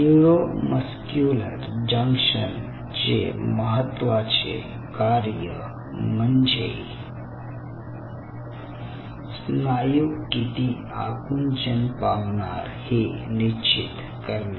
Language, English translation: Marathi, so the significance of neuromuscular junction lies in the fact that neuromuscular junction decides how much this muscle will contract